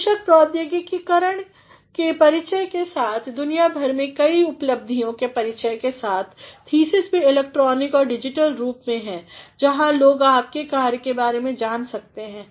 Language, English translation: Hindi, Of course, with the introduction of technology and with the introduction of various facilities all around the world, Thesis also has been in the form of the electronic or digital form where people can know about your work